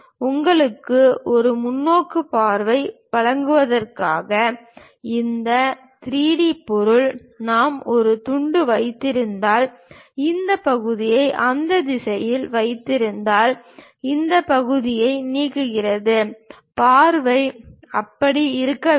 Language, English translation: Tamil, Just to give you a perspective view, this 3 D object if we are having a slice and keeping this section in that direction, removing this part; then the view supposed to be like that